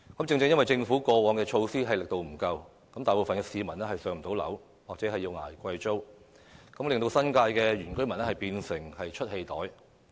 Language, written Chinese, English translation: Cantonese, 正正由於政府過往推出的措施皆力度不足，大部分市民仍然未能"上樓"或要捱貴租，致令新界原居民變成了"出氣袋"。, Owing to the ineffective government measures in the past most people are still waiting for PRH allocation or having to pay high rents and consequently the indigenous villagers have become a punching bag and have been targeted against in recent years